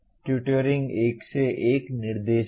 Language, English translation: Hindi, Tutoring is one to one instruction